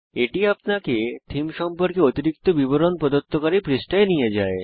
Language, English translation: Bengali, This takes you to a page which gives additional details about the the theme